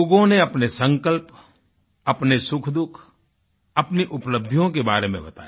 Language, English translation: Hindi, People spoke about their determination, their happiness and their achievements